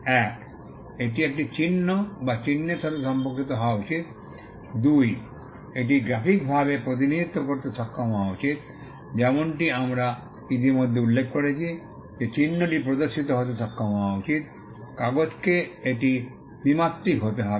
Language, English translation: Bengali, 1, it should pertain to a sign or a mark; 2, it should be capable of being represented graphically, as we had already mentioned the mark should be capable of being shown on, paper the it has to be 2 dimensional